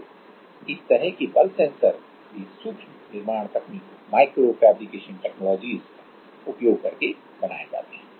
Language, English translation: Hindi, So, this kind of force sensors are also made using micro fabrication technologies